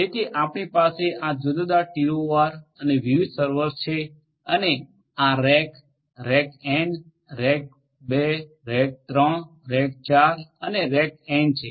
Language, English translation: Gujarati, So, we will have these different TORs and with different servers and this will be rack, rack n right, rack 2, rack 3, rack 4 and rack n